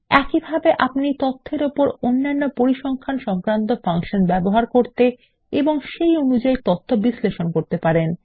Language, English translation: Bengali, Similarly, you can use other statistical functions on data and analyze them accordingly